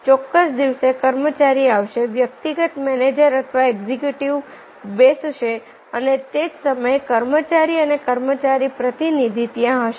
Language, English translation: Gujarati, the employee will come, the personal manger or the executive will sit and at the same time the employee and the employee representative will be there